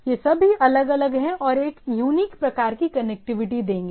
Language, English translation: Hindi, Any of them is different will give a unique type of connectivity